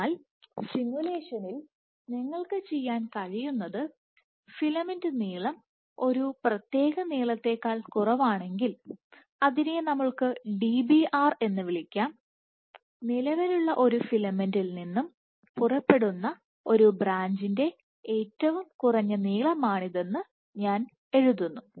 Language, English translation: Malayalam, So, for making that in the simulation what you can do is you can say that if filament length is less than some length, let us say Dbr, I write this is the minimum length for a branch to emanate from an existing filament